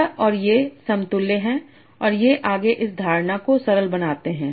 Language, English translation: Hindi, So this and these are equivalent and this further simplifies this notation